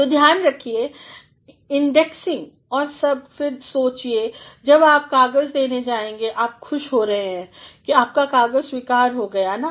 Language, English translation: Hindi, So, see they indexing and all and then think off when you are going to submit a paper and you are in the glory that the paper will be accepted no